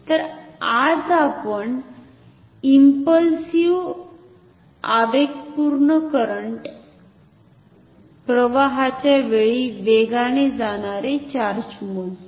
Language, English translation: Marathi, So, today we will measure charge flown during a impulsive current impulse current